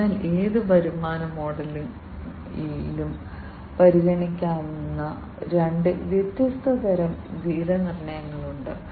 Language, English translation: Malayalam, So, there are two different types of pricing that can be considered in any revenue model